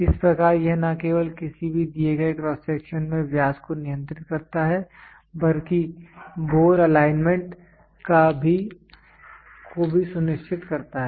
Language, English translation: Hindi, Thus it not only controls the diameter in any given cross section, but also ensures the bore alignment